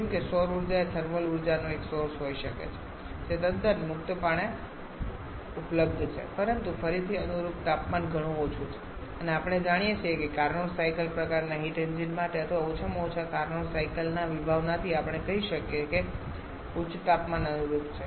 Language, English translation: Gujarati, Like solar energy can be one source of thermal energy which is quite freely available but again corresponding temperature is quite low and we know that for Carnot cycle kind of heat engines